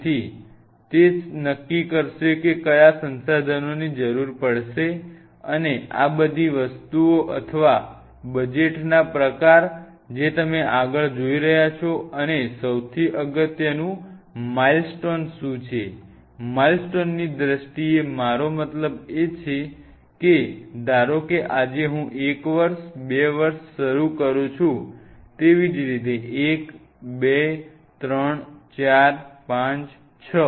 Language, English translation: Gujarati, So, that will decide what all resources will be needing right and all these things or a function of the kind of budget you are looking forward and most importantly is what are the milestones, in terms of milestone I meant like suppose today I am starting one year, two year; one, two, three, four, five, six, likewise